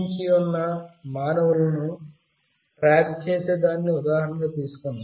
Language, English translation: Telugu, Let us take the example of tracking living beings